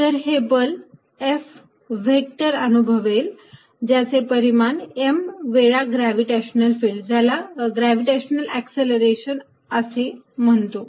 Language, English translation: Marathi, It experiences is a force F vector whose magnitude is given by m times this gravitational field, which we call g, gravitational acceleration